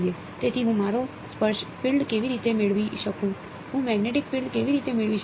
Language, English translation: Gujarati, So, how do I get the tangential field I mean, how do I get the magnetic field